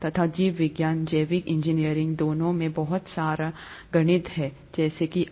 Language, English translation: Hindi, And, biology, biological engineering, both have a lot of mats in them, as of now